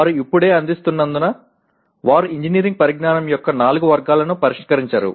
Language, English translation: Telugu, They directly as they are offered right now, they do not address the four categories of engineering knowledge